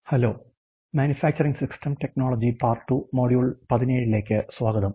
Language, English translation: Malayalam, Hello and welcome to this manufacturing systems technology part 2 module 17